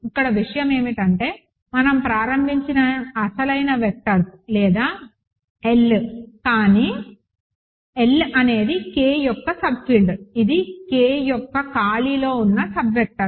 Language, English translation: Telugu, Here the point is the original vectors we started with or in L, right, but L is a subfield of K, it is a sub vectors a space of K if you wish